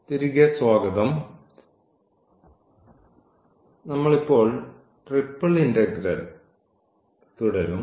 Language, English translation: Malayalam, So, welcome back and we will continue now this Triple Integral